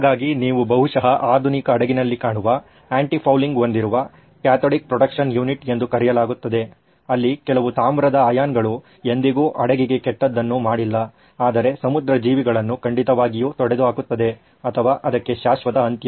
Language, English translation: Kannada, So, this is what you would probably find in a modern ship, a cathodic protection unit with anti fouling as it is called where a little bit of copper ions never did anything bad to the ship but marine life it definitely got rid of or put permanent end to that